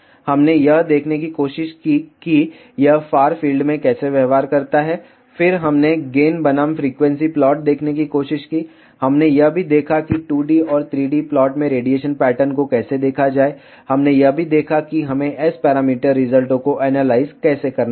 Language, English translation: Hindi, We tried to see how does it behave in far field region, then we tried to see the gain versus frequency plot, we also saw how to see the radiation pattern in 2D and 3D plot, we also saw how we should analyze S parameter results in Smith chart and in dB plot